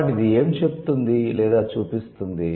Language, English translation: Telugu, So, uh, what is it about its, it's saying or it's showing